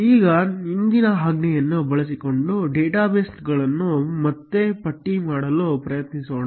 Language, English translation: Kannada, Now, let us try to again list databases using the previous command